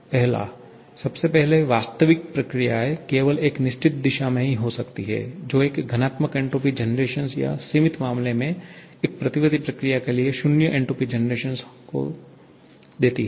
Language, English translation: Hindi, One, real processes can occur only in a certain direction, which gives to a positive entropy generation or in the limiting case zero entropy generation for a reversible process